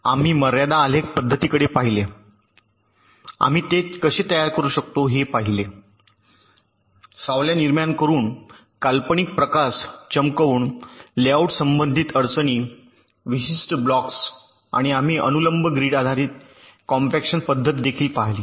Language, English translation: Marathi, we saw how we can generate the layout related constraints by shining an imaginary light, by generating shadows of particular blocks, and we looked at the vertical grid based compaction method also